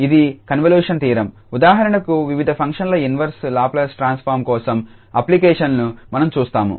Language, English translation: Telugu, So, this is the convolution theorem which we will see the applications for getting for instance the inverse Laplace transform of various functions